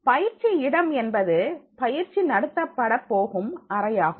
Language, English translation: Tamil, The training site refers to the room where training will be conducted